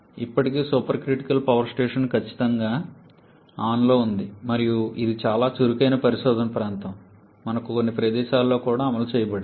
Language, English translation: Telugu, Still the supercritical power station is definitely on and is a very active area of research and has also been implemented in certain locations